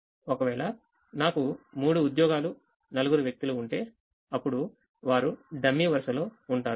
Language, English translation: Telugu, if i had three jobs and four persons, then they there'll be a dummy row